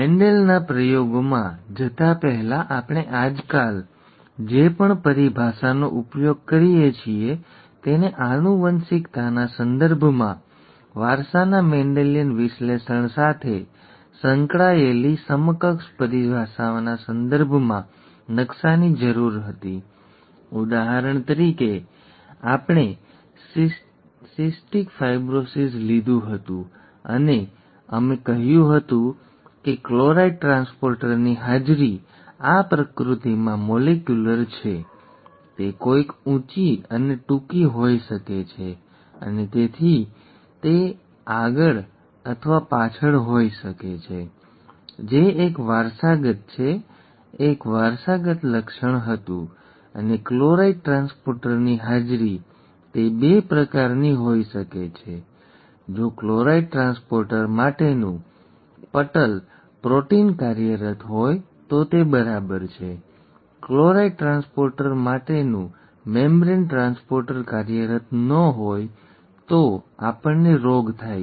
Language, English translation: Gujarati, Before we went into Mendel’s experiments, we needed to map whatever terminology that we use nowadays in the context of genetics to the equivalent terminology that goes with a Mendelian analysis of inheritance; for example, we had taken cystic fibrosis and we said presence of a chloride transporter, this is rather molecular in nature, it could be somebody being tall and short and so on so forth, that could also be and we said that this was a character which is an which was a heritable feature, and the presence of the chloride transporter, it could be of two kinds, if the membrane protein for chloride transporter is functional then it is fine; if the membrane transporter for chloride function, chloride transporter is not functional, then we get the disease